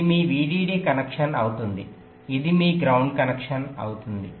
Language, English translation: Telugu, this will be your vdd connection, this will be your ground connection